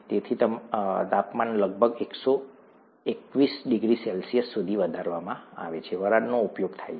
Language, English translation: Gujarati, So the temperature is raised to about 121 degrees C, steam is used